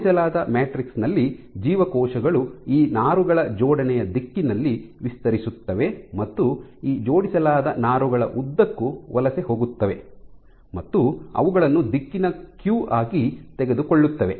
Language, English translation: Kannada, While on an align matrix like that the cells will not only stretch itself along the alignment direction of these fibers, but also tend to migrate along these aligned fibers taking them as a directional cue